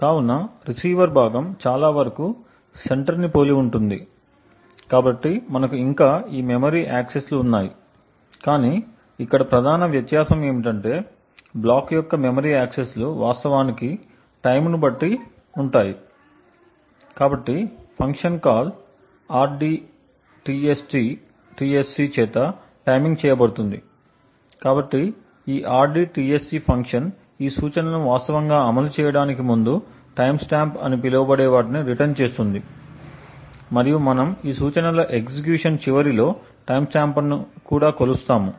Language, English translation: Telugu, Okay, so let us now look at the receiver part of the code, so as we see the receiver part is very similar to that of the centre, we still have these memory accesses which are done but the major difference here is that the block of memory accesses is actually timed, so the timing is done by the function call rdtsc, so this rdtsc function returns what is known as the time stamp prior to actually executing these instructions we measure the timestamp and also at the end of these instruction executions